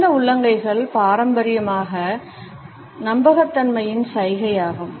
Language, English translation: Tamil, Open palms are traditionally a gesture of trustworthiness